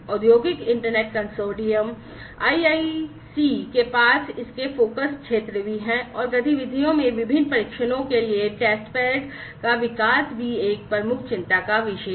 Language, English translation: Hindi, So, this Industrial Internet Consortium IIC has also among its focus areas and activities has the development of Testbeds for different trials also a major concern